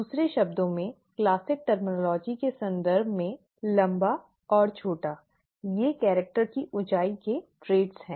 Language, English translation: Hindi, In other words, in terms of classic terminology; tall and short, these are the traits of the character height